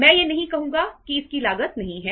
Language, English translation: Hindi, I wonít say that it doesnít have a cost